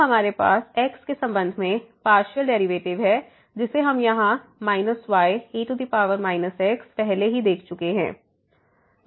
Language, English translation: Hindi, So, we have the partial derivative with respect to which we have already seen here minus power minus